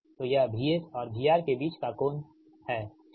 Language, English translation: Hindi, this is the angle between this v